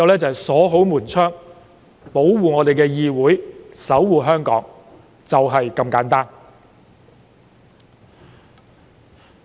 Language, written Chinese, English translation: Cantonese, 只能鎖好門窗、保護議會、守護香港，就是這麼簡單。, We can only lock the doors and windows to protect the legislature and safeguard Hong Kong . The point is as simple as that